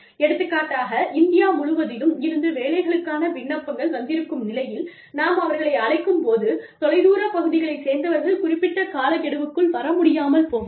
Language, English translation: Tamil, For example, in India, when we call from the applications for jobs, we know, that people from far flung areas, may not be able to make it, to the deadline